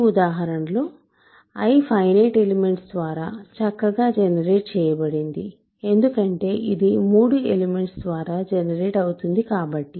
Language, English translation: Telugu, I is in this example certainly finitely generated because it is generated by three elements